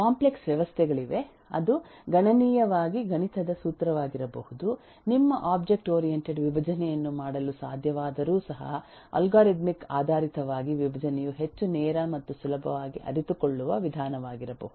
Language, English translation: Kannada, There are systems there are complex systems which may be very strictly mathematical formula oriented where even though it is possible to do object oriented decomposition your algorithmic decomposition may be a much more direct and eh easily realizable approach